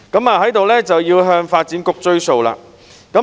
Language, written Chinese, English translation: Cantonese, 我要在此向發展局"追數"。, Here I would like to urge the Development Bureau to deliver on its commitment